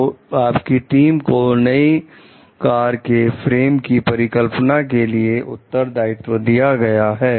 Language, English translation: Hindi, So, your team is responsible for designing part of the frame of the new car